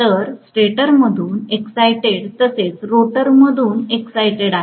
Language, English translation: Marathi, So it is excited from the stator as well as excited from the rotor